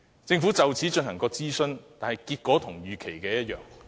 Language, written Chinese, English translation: Cantonese, 政府曾就此進行諮詢，但結果與預期一樣。, The outcome of the consultation conducted by the Government was as expected